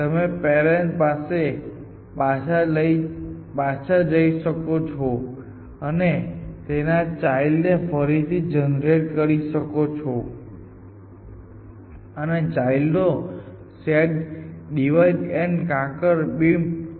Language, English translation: Gujarati, So, you could go back to the parent and regenerate the parent’s children and take the next set of children in divide and conquer beam stack search, you do not have the open layer